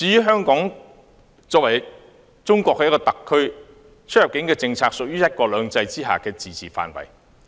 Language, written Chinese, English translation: Cantonese, 香港作為中國的一個特區，其出入境政策屬於"一國兩制"下的自治範圍。, As a Special Administrative Region of China Hong Kongs immigration policy falls within the scope of its autonomy under one country two systems